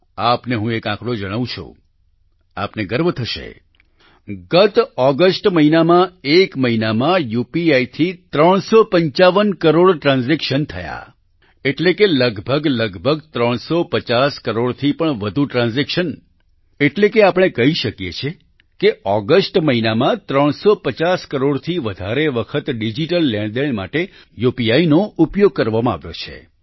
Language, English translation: Gujarati, I will tell you a figure which will make you proud; during last August, 355 crore UPI transactions took place in one month, that is more than nearly 350 crore transactions, that is, we can say that during the month of August UPI was used for digital transactions more than 350 crore times